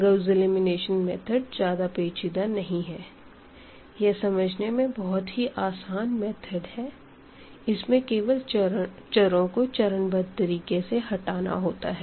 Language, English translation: Hindi, So, it is easy to understand that this Gauss elimination is nothing very very complicated, but it is like eliminating the variables in a systematic fashion